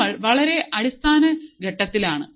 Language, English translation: Malayalam, We are at a very basic stage